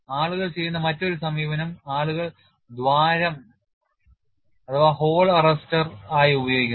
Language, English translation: Malayalam, Another approach what people do is people use hole as a arrester